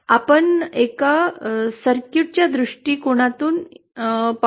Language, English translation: Marathi, Let us go to a circuit perspective